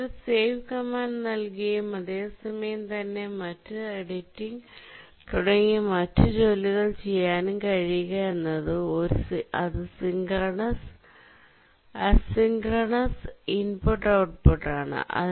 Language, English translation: Malayalam, But if you are given a save command and at the same time you are able to also do editing and other operations, then it's a asynchronous I